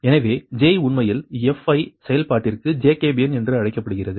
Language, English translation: Tamil, so j actually is called the jacobian for the function fi, right